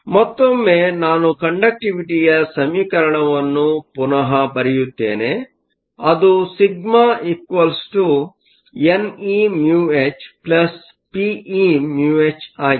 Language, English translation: Kannada, Again let me rewrite the equation for the conductivity; sigma is n e mu e plus p e mu h